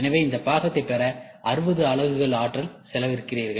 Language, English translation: Tamil, So, 60 units of energy you spend to get this part